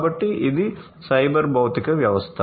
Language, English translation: Telugu, So, this is the cyber physical system